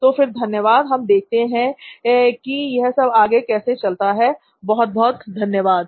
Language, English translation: Hindi, Okay, so thank you so we will see how it goes, thank you so much